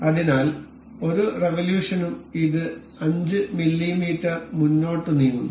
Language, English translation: Malayalam, So, we will revolve it like this per revolution it moves 5 mm forward